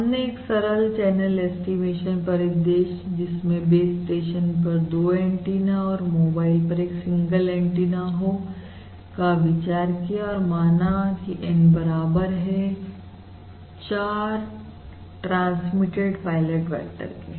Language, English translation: Hindi, and we have considered the simple channel estimation scenario for 2 antenna at the base station and a single antenna at the mobile and um, considering N equal to 4 transmitted pilot vectors